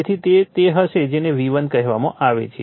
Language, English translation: Gujarati, So, that is that will be your what you call V1